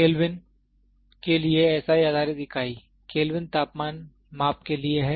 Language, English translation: Hindi, SI based unit for Kelvin, Kelvin is for temperature measurement